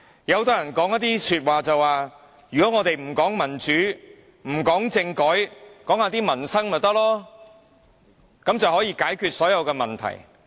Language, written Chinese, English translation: Cantonese, 很多人說，我們不談民主，不談政改，只談民生便可，這樣便能解決所有問題。, Many people are of the view that we need only focus on livelihood issues and put aside matters concerning democracy and politics . That way all the problems can be resolved supposedly